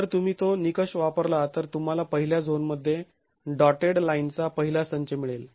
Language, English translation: Marathi, If you use that criterion you would get the first set of dotted lines in the first zone